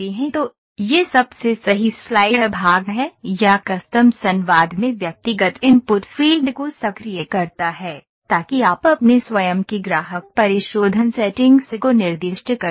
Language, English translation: Hindi, So, this is the right most slider portion or the custom activates the individual input fields in the dialogue so, that you can specify your own customer refinement settings